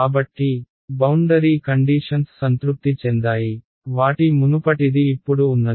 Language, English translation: Telugu, So, the boundary conditions are satisfied right what was their earlier is there now